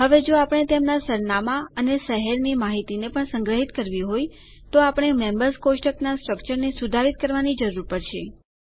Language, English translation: Gujarati, Now if we have to store their address and city information also, we will need to modify the Members table structure